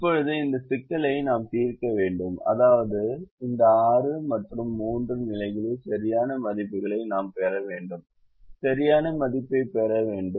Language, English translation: Tamil, now we have to solve this problem, which means we should get the correct values of this six and three positions